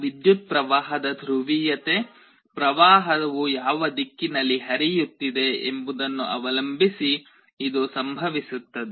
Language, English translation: Kannada, This will happen depending on the polarity of the current, which direction the current is flowing